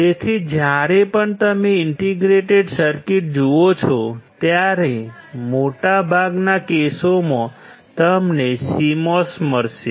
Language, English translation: Gujarati, So, whenever you see an indicator circuits, most of the cases you will find CMOS